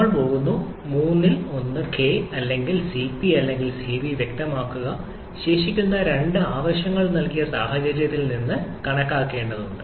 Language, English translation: Malayalam, And we are going to specify one of three either K or Cp or Cv and remaining two needs to be calculated from the given situation